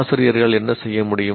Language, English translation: Tamil, Now what can the teachers do